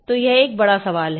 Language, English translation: Hindi, So, it's a big question